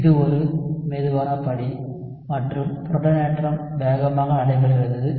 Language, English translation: Tamil, So this is a slow step, and the protonation takes place fast